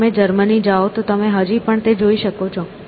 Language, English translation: Gujarati, So, if you go to Germany, you can still find them